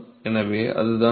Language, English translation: Tamil, So, that is the flux